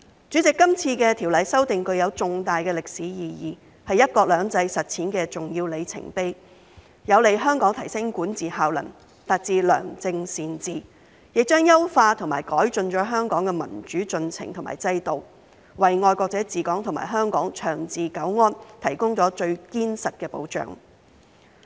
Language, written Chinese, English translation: Cantonese, 主席，今次條例修訂具有重大歷史意義，是"一國兩制"實踐的重要里程碑，有利香港提升管治效能，達致良政善治，亦將優化和改進香港的民主進程和制度，為"愛國者治港"和香港長治久安提供了最堅實的保障。, President this legislative amendment exercise is of profound historical significance and an important milestone in the implementation of one country two systems . It is conducive to enhancing governance efficiency and achieving good governance in Hong Kong . It will also optimize and improve the democratic process and institutions in Hong Kong providing the most solid protection for patriots administering Hong Kong and the long - term peace and stability of Hong Kong